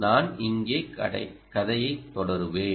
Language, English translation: Tamil, i will just continue the story here